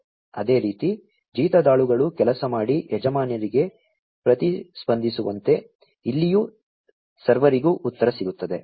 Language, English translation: Kannada, In the same way, as the slaves who do the work and respond back to the masters, here also the servers respond back